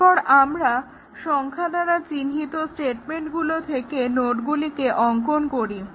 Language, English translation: Bengali, Then, we draw the nodes here with the numbered statements